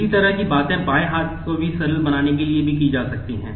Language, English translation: Hindi, Similar things can be done to simplify the left hand side also